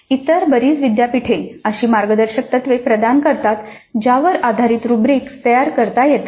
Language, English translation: Marathi, Many other universities do provide the kind of a guidelines based on which the rubrics can be constructed